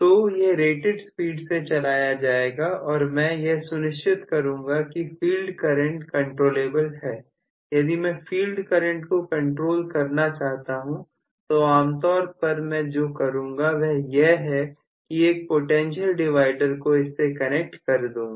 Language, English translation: Hindi, So, this will be run at rated speed and I will make sure that this field current is controllable, if I have to have the field current as controllable, generally what I would do is to connect the potential divider preferably